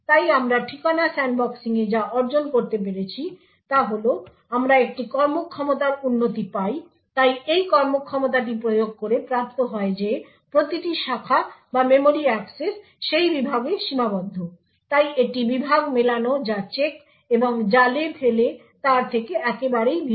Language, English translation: Bengali, So what we were able to achieve in Address Sandboxing is that we get a performance improvement so this performance is obtained by enforcing that every branch or memory access is restricted to that segment, so this is very much unlike the Segment Matching which checks and traps